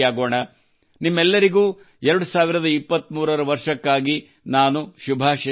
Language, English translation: Kannada, I wish you all the best for the year 2023